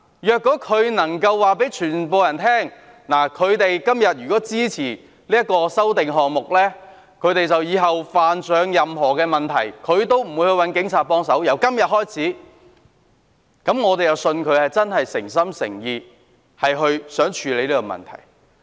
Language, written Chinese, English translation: Cantonese, 如果他們能夠告訴所有人，由今天開始，他們支持這些修正案後，日後如有任何問題，也不會找警察幫忙，那麼，我便相信他們是誠心誠意希望處理這個問題。, If they can tell everyone that starting from today after they have supported these amendments they will not seek help from the Police if they have any problem in the future then I will believe that they do sincerely wish to deal with this issue